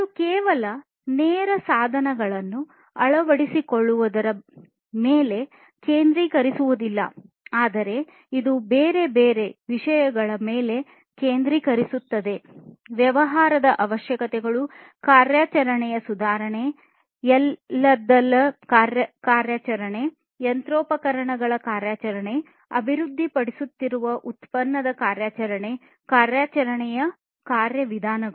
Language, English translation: Kannada, And it does not focus on just the adoption of the lean tools, but also it focuses on different other areas such as business requirements, operation improvement, operation of everything, operation of the machinery, operation of the product being developed, operation of the processes